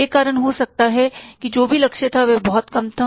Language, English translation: Hindi, There could be a reason that whatever the target was, that was much less